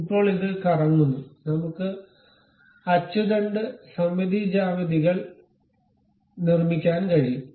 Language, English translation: Malayalam, Now, using this revolve, we can construct axis symmetric geometries